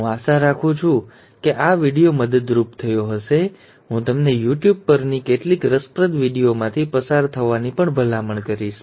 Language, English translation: Gujarati, I hope this video has been helpful; I would also recommend you to go through some of the interesting videos on YouTube